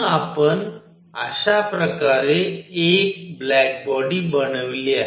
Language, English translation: Marathi, So, we made a black body like this